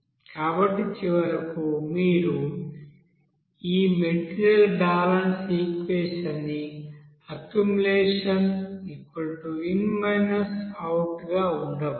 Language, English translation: Telugu, So finally you can have this material balance equation as accumulation will be is equal to in minus out